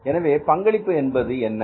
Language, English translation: Tamil, What is contribution now